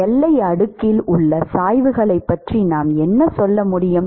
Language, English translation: Tamil, What can we say about the gradients in boundary layer